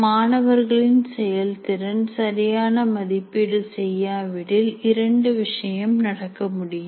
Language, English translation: Tamil, And the other one is, if the student performance is not evaluated properly, two things can happen